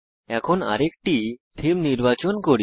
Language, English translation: Bengali, Now let us choose another theme